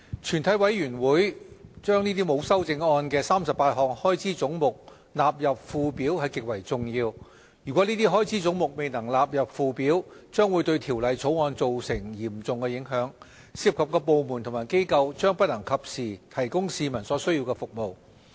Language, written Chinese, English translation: Cantonese, 全體委員會將沒有修正案的38項開支總目納入附表是極為重要的，如果這些開支總目未能納入附表，將會對《2018年撥款條例草案》造成嚴重影響，涉及的部門和機構將不能及時提供市民所需要的服務。, It is extremely important for the sums for the 38 heads without amendment be included in the Schedule by the committee of the whole Council . If the sums for these heads cannot be included in the Schedule it will have serious impact on the Appropriation Bill 2018 the Bill making it unable for departments and organizations involved to promptly provide the necessary services to the public